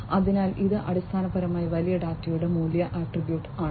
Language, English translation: Malayalam, So, this is basically the value attribute of big data